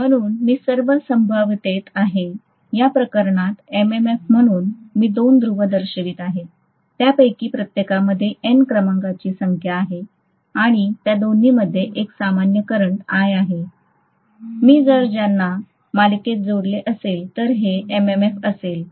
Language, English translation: Marathi, So I will have in all probability, 2 Ni as the MMF in this case, I am showing two poles, each of them consisting of N number of turns and both of them carrying a common current I if I connect them in series, so this is going to be the MMF